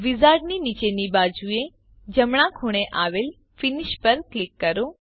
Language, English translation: Gujarati, Click Finish at the bottom right corner of the wizard